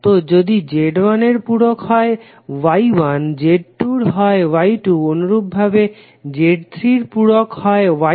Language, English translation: Bengali, So if reciprocal of Z1 is Y1, its Z2 reciprocal is Y2 and similarly for Z3 reciprocal is Y3